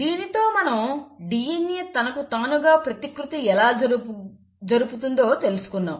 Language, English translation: Telugu, So with that we have covered how DNA replicates itself